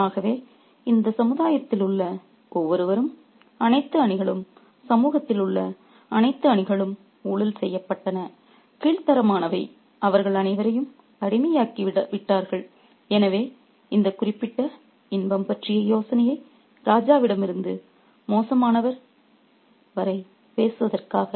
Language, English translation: Tamil, So, everybody in this society, all ranks of people, all ranks in society have been corrupted, debased and they were all become addicts, so to speak, of this particular idea of pleasure, from the king to the popper